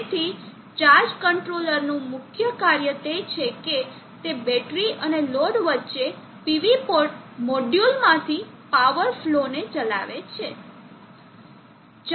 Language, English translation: Gujarati, So the main job of the charge controller is that it steers the power flow from the PV module between the battery and the load